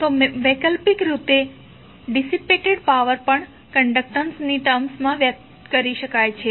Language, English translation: Gujarati, So, alternatively the power dissipated can also be expressed in term of conductance